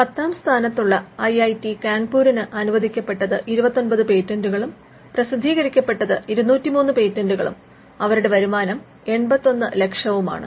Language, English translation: Malayalam, IIT Kanpur, which is ranked 10, has 29th granted patents, 203 published patents and their revenues in 81 lakhs